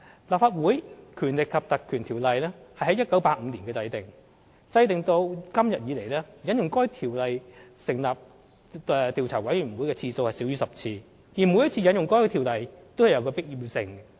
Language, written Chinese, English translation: Cantonese, 《立法會條例》於1985年制定，至今引用《條例》成立調查委員會的次數少於10次，而每一次引用《條例》都有其必要性。, The Legislative Council Ordinance was enacted in 1985 . Up to now the Legislative Council only invoked the Legislative Council Ordinance less than 10 times for the setting up of investigation committees . Besides each time the Legislative Council Ordinance should only be invoked with an absolute necessity